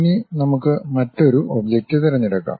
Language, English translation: Malayalam, Now, let us pick another object